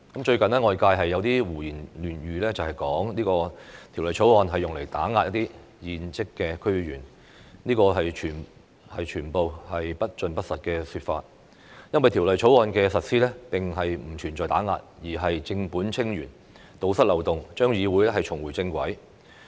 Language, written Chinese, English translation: Cantonese, 最近，外界有人胡言亂語，指《條例草案》用來打壓現職的區議員，這全是不盡不實的說法，因為《條例草案》的目的並不是打壓，而是正本清源、堵塞漏洞，讓議會重回正軌。, Recently some people have made unsubstantiated claims that the Bill is used to suppress incumbent DC members . These claims are untrue and unfounded because the Bill does not to seek to suppress but to solve problems at root and plug loopholes so that the Legislative Council can return to the original track